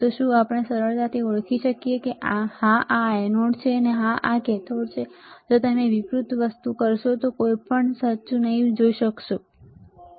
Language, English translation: Gujarati, So, is easy we identify that yes this is anode this is cathode, if you do reverse thing we will not be able to see anything correct